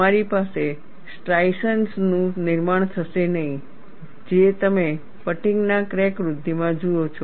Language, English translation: Gujarati, You would not have formation of striations, which is what you see in a fatigue crack growth